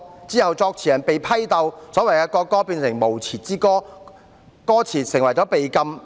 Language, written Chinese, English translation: Cantonese, 之後，作詞人被批鬥，所謂的國歌變成無詞之歌，歌詞被禁。, The lyricist was later struggled against the so - called national anthem became a song with no lyrics and its lyrics were banned